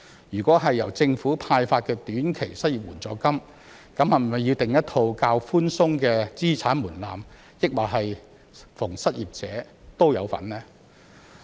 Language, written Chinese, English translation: Cantonese, 如果由政府派發短期失業援助金，那麼是否要訂立一套較寬鬆的資產門檻，還是逢失業者都有份呢？, If the Government is to provide an unemployment assistance in the short term should we work out a lower asset threshold or should all the unemployed be allowed to receive the assistance?